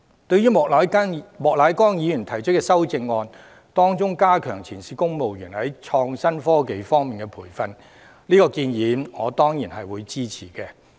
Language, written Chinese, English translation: Cantonese, 對於莫乃光議員提出的修正案，當中有關加強前線公務員在創新科技方面的培訓的建議，我當然會支持。, I hope that the Government can consider this proposal . In Mr Charles Peter MOKs amendment there is a recommendation for enhancing the training of frontline civil servants in innovative technology which I will surely support